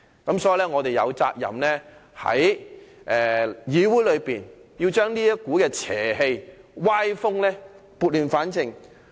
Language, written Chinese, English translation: Cantonese, 因此，我們有責任在議會中把這股邪氣和歪風撥亂反正。, Therefore we are duty - bound to rectify the perverse practice and undesirable trend in the Council